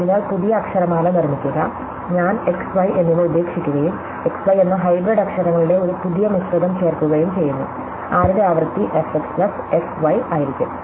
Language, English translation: Malayalam, So, construct the new alphabet in which I drop x and y and I add a new composite of hybrid letter x, y; whose frequency is going to be f x plus f y